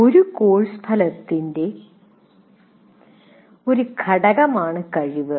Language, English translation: Malayalam, A competency is an element of a course outcome